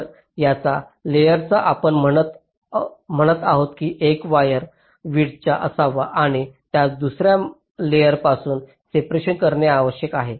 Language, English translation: Marathi, ok, so on the same layer, we are saying that a wire has to be of width s and has to be of separation s from another layer